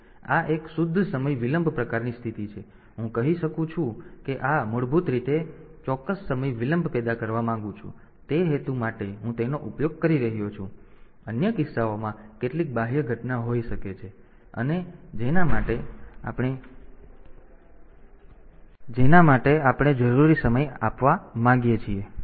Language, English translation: Gujarati, So, pure time delay; so, I can say that these are basically I want to produce a precise time delay, and for that purpose I am using it, in other cases there may be some external event and for which we want to measure the time that is needed